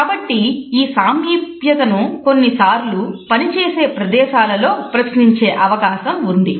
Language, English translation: Telugu, Therefore, this proximity sometimes may be questioned in the workplace